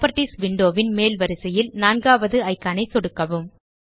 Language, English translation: Tamil, Left click the fourth icon at the top row of the Properties window